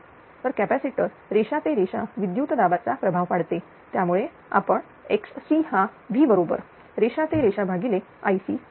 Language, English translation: Marathi, So, that the line to line voltage is impress across the capacitor that is why you are taking X is equal to V line to line upon I C